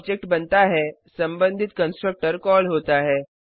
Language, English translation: Hindi, When the object is created, the respective constructor gets called